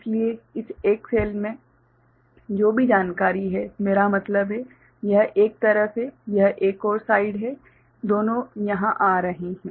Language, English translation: Hindi, So, whatever information is there in this cell I mean, this is one side, this is another side both are coming over here